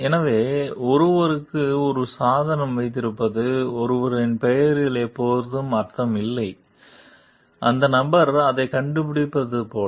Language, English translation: Tamil, So, having a device for someone; under someone s name does not always mean, like the person has invented it